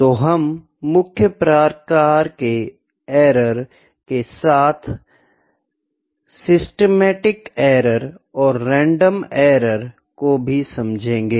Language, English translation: Hindi, See the to major kinds of errors we will discuss upon on that as well, systematic error and random errors